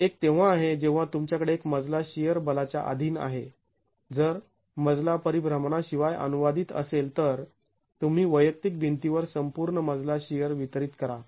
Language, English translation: Marathi, One is when you have a flow subjected to a shear force, if the floor were to translate with no rotations, then you distribute the total flow shear to the individual walls